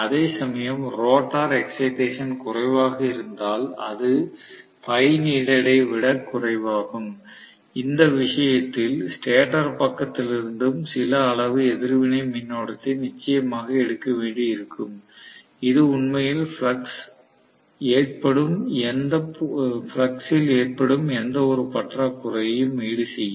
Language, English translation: Tamil, Whereas if I am going to have rather, if the rotor excitation is less, it is less than phi needed, in which case it will require definitely to draw some amount of reactive current from the stator side as well, which will actually make up for any shortfall I had originally in the flux